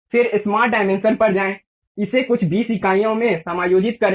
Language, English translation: Hindi, Then go to smart dimension, adjust it to some 20 units